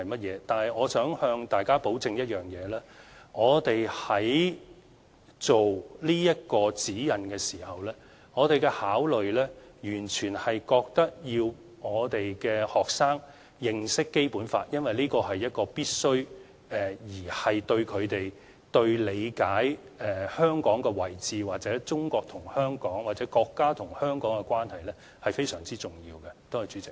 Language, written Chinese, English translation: Cantonese, 然而，我想向大家保證一點，當局在制訂此份《指引》的時候，我們的考慮完全是覺得學生要認識《基本法》，因為這是必須的，對他們理解香港的位置或中國與香港或國家與香港的關係，是非常重要的。, However I can assure Members that when the authorities formulate this set of SECG our only consideration is the need for students to know the Basic Law because we think that such knowledge is a must and also very important to their understanding of Hong Kongs position or its relationship between China or the country